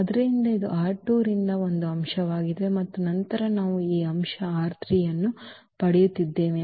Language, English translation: Kannada, So, this is an element from R 2 and then we are getting this element R 3